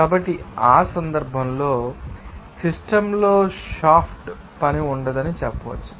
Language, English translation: Telugu, So, in that case you can say that there will be no shaft work done on the system